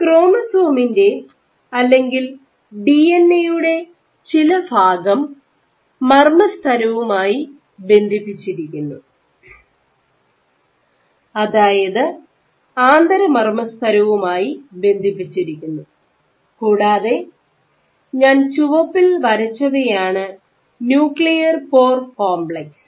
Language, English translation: Malayalam, So, you have some portions, where the DNA or chromatin is attached to the INM and what I have drawn in red, these are nuclear pore complex ok